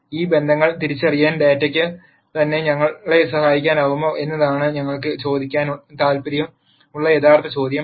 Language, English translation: Malayalam, The real question that we are interested in asking is if the data itself can help us identify these relationships